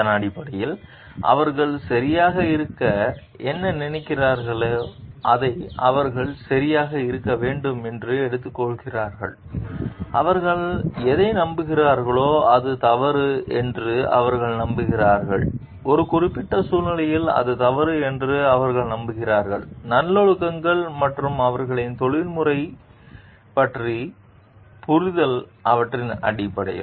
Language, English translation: Tamil, And based on that, whatever they think to be right is they take it to be right and they believe in that and whatever the thing to be wrong is they believe it to be wrong in a particular situation, based on the virtues and their understanding of their professional ethics